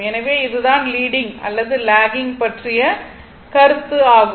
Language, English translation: Tamil, So, this is the concept for leading or lagging right